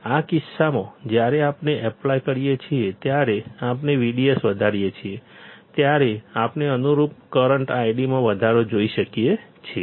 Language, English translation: Gujarati, In this case when we apply, when we increase V D S we can see correspondingly, increase in current I D